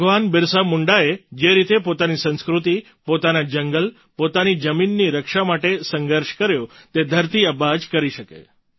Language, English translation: Gujarati, The way Bhagwan Birsa Munda fought to protect his culture, his forest, his land, it could have only been done by 'Dharti Aaba'